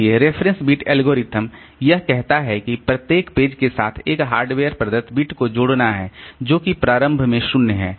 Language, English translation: Hindi, So, reference bit algorithm it says that with each page associate a hardware provided bit which is initially 0